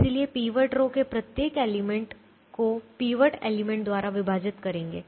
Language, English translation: Hindi, so divide every element of the pivot row by the pivot element